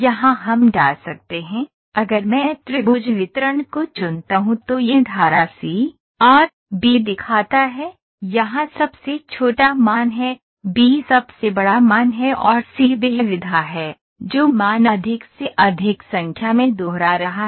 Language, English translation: Hindi, So, here we can put if I pick the triangle distribution it is showing stream c ,a, b here a is the smallest value, b is the largest value, c is the mode value that is of the repeating for maximum number of time